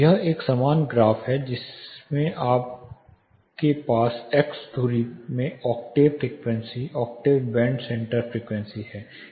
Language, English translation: Hindi, On x axis you will have the octave band center frequency